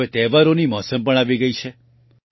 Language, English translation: Gujarati, The season of festivals has also arrived